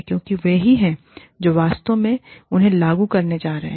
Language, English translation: Hindi, Because, they are the ones, who are actually going to implement them